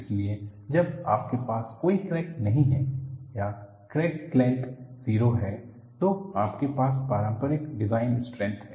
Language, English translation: Hindi, So, when you have no crack or crack length is 0, you have the conventional design strength